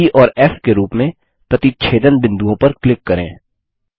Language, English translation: Hindi, Let us mark the point of intersection as E